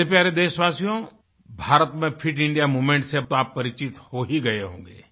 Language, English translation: Hindi, My dear countrymen, by now you must be familiar with the Fit India Movement